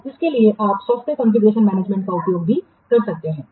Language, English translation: Hindi, So, for that you can also use the software configuration management